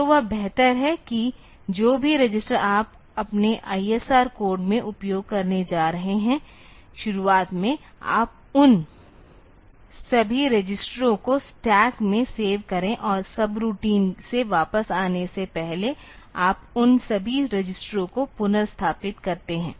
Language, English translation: Hindi, So, it is better that whatever register you are going to use in your ISR code; at the beginning you save all those registers in the stack and before coming back from the subroutine you just restore all those registers